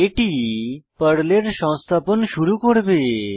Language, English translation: Bengali, This will start the installation of PERL